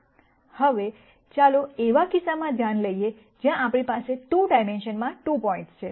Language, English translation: Gujarati, Now, let us con sider a case where we have 2 points in 2 dimensions